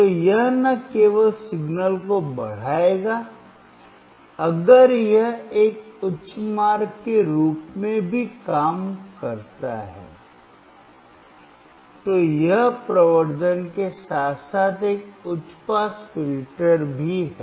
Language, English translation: Hindi, So, this will not only amplify the signal, if it also act as a high pass way, it is a high pass filter along with amplification